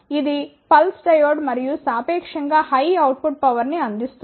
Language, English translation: Telugu, This one is the pulse diode and provides relatively high output power